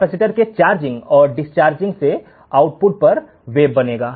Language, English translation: Hindi, The charging and discharging of the capacitor will form the wave at the output